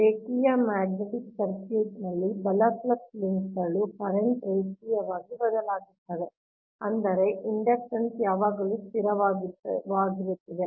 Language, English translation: Kannada, in a linear magnetic circuit, right, flux linkages vary linearly with the current right, such that the inductance always remain constant, right